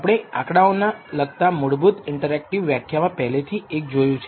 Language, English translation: Gujarati, We have already seen one in the basic interactive lectures to statistics